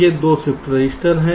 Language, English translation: Hindi, this is the shift register